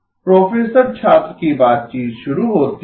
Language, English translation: Hindi, “Professor student conversation starts